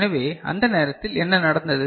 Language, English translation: Tamil, So, at that time what is happening